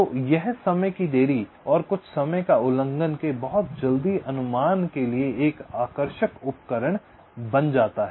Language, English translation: Hindi, so this becomes an attractive tool for very quick estimate of the timing delays and hence some, i can say, timing violations